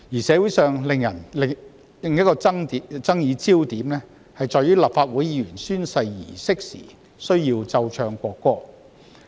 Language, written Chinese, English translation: Cantonese, 社會人士的另一個爭議點是，立法會舉行議員宣誓儀式時需要奏唱國歌。, Another controversial point in the community is the playing and singing of the national anthem at the Legislative Council oath - taking ceremony